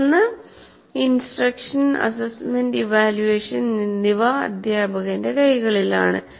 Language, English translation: Malayalam, But subsequently, instruction, assessment and evaluation are in the hands of the teacher